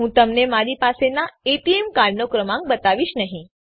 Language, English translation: Gujarati, I am not going to show the number of the ATM card that i have